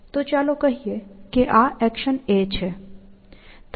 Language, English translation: Gujarati, So, let us say that this is an example